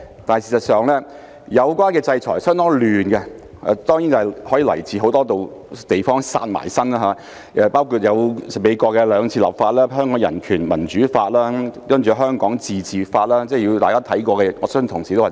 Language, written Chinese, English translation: Cantonese, 但事實上，有關的制裁相當混亂，當然是因很多地方"殺埋身"，包括美國兩次立法，即《香港人權與民主法案》及《香港自治法案》，我相信未必有太多同事看過。, However as a matter of fact the sanctions concerned are rather confusing . Of course it is because threats are closing in from many sides including two pieces of United States legislation namely the Hong Kong Human Rights and Democracy Act and the Hong Kong Autonomy Act which I do not believe many colleagues have read